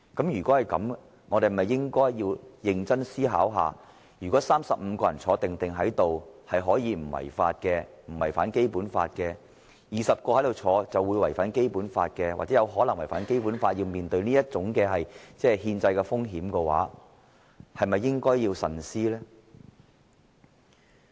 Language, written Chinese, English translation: Cantonese, 如果是這樣，我們是否應該認真思考，如果35人在席不用違反《基本法》，而20人在席會違反或有可能違反《基本法》，令我們要面對這種憲制風險的話，我們是否應該慎思而行呢？, If so should we seriously think about this If the presence of 35 Members can be spared the risk of contravening the Basic Law whereas the presence of 20 Members will or may contravene the Basic Law and hence cause us to face the risk of unconstitutionality should we not think about it carefully before taking such a step?